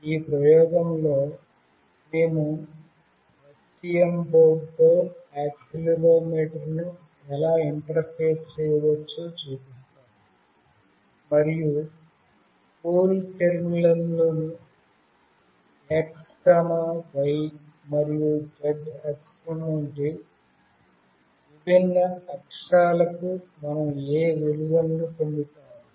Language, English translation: Telugu, In this experiment, I will be showing how we can interface accelerometer with STM board, and what value we will get for the different axis like x, y and z axis in CoolTerm